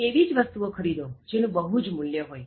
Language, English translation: Gujarati, So, buy only those things that are of high value